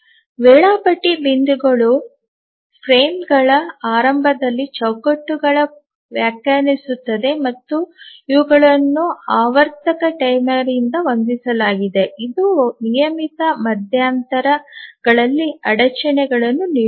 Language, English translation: Kannada, So, the scheduling points define the frames, the beginning of the frames and these are set by a periodic timer which keeps on giving interrupts at regular intervals